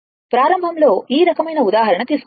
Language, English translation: Telugu, Initially, I have taken these kind of example